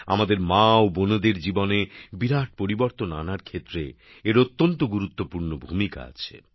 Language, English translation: Bengali, It has played a very important role in bringing a big change in the lives of our mothers and sisters